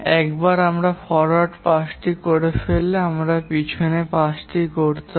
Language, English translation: Bengali, Once we have done the forward pass, we'll have to do the backward pass